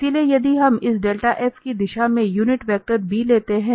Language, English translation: Hindi, So, if we take the unit vector b in the direction of del f